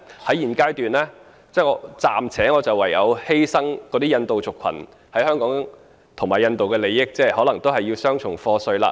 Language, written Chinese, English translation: Cantonese, 在現階段，我唯有暫時犧牲印度族群在香港和印度的利益，令他們可能要繳付雙重課稅了。, At this stage I have no choice but to temporarily sacrifice the Indian communitys interests in Hong Kong and India by subjecting them to double taxation